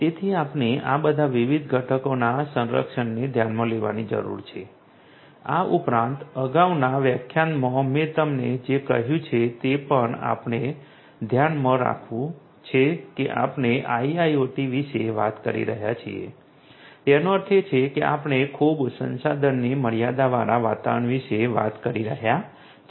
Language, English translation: Gujarati, So, we need to consider the protection of all of these different components, additionally we also have to keep in mind what I was telling you in the previous lecture that we are talking about IIoT means that we are talking about a highly resource constrained environment